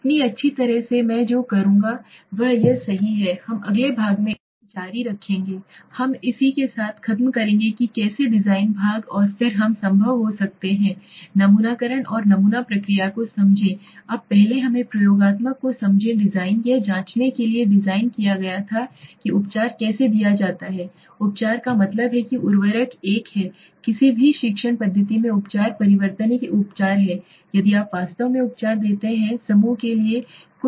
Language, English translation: Hindi, So well what I will do is we will continue this in the next section right in the coming section so we will finish with this how the design part and then we will move into may be if possible sampling and understand the sampling process now first let us understand the experimental design was designed to check how a treatment is given treatment means suppose a fertilizer is a treatment change in any teaching method is a treatment if you give a treatment is actually something happening to the group